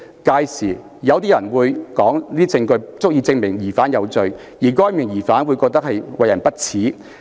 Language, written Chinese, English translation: Cantonese, 屆時，有些人便會說那些證據足以證明疑犯有罪，而該名疑犯會覺得為人不齒。, Then some might say that that was proof enough of guilt and the suspect would find himself condemned by public censure